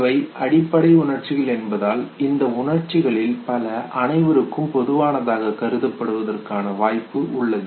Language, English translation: Tamil, And we also know that, because these are basic emotions, so there is a possibility of many of these emotions to be considered as universal expressions